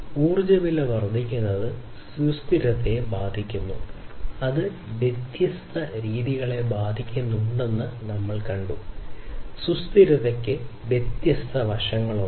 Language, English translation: Malayalam, So, increasing energy price effects sustainability and we have seen that different ways it is affecting, it is not you know sustainability has different facets